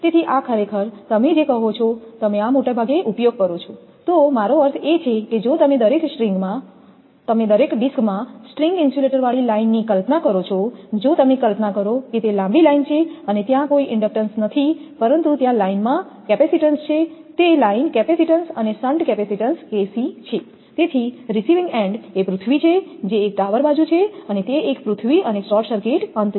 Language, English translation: Gujarati, So, this is actually if you use what you call that that most I mean if you imagine the line that is string insulator in each disk if you imagine that it is a long line and no inductance is there, but capacitance is there in the line that line capacitance and shunt capacitance KC is there